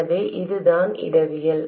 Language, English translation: Tamil, So, this is the topology